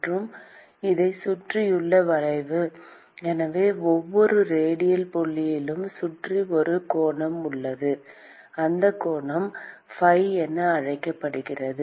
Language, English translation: Tamil, And the curve around it so there is an angle around every radial point; and that angle is what is called as phi